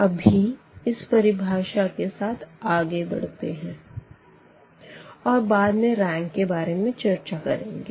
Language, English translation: Hindi, So, with this definition, we go ahead and later on we will be talking more about this rank